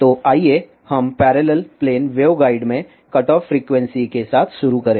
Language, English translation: Hindi, So, let us start with cutoff frequency in parallel plane waveguide